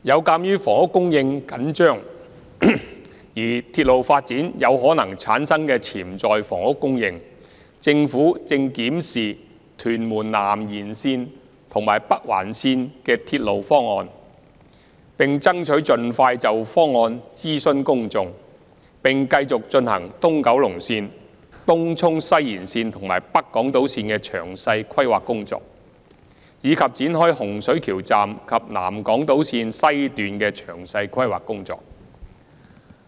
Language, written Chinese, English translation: Cantonese, 鑒於房屋供應緊張，而鐵路發展有可能產生潛在的房屋供應，政府正檢視屯門南延線和北環線的鐵路方案，爭取盡快就方案諮詢公眾，並繼續進行東九龍線、東涌西延線和北港島線的詳細規劃工作，以及展開洪水橋站及南港島線的詳細規劃工作。, Due to the tight housing supply and the potential housing supply that may be brought about by railway development the Government is reviewing the proposals for the Tuen Mun South Extension and Northern Link and will strive to undertake public consultation on these proposals as soon as possible . We will also carry on with the detailed planning for the East Kowloon Line Tung Chung West Extension and North Island Line and will embark on detailed planning for Hung Shui Kiu Station and the South Island Line West